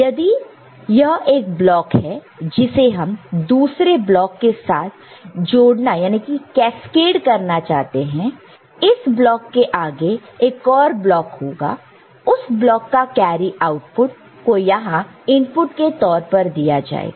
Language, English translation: Hindi, And, if it is a block which is to be cascaded with another block, there is block proceeding to it, then that block carry output which is C 3 will be fed as input here